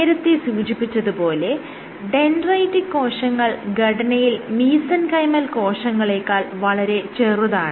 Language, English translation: Malayalam, So, generally dendritic cells are much smaller than cells like fiber than mesenchymal cells